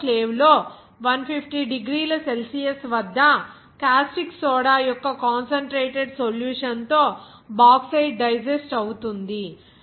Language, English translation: Telugu, The Bauxite is digested with a concentrated solution of caustic soda at 150 degrees Celsius in an autoclave